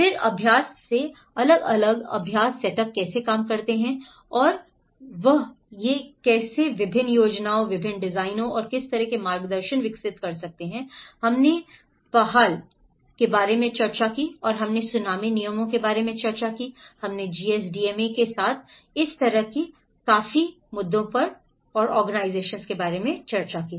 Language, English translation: Hindi, Then the practice how different practice setups have worked and that is where how they produce different plans, different designs and what kind of guidances it has developed, we discussed about PAHAL and we discussed about the tsunami regulations, we discussed with the GSDMA regulations like that